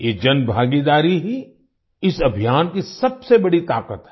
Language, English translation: Hindi, This public participation is the biggest strength of this campaign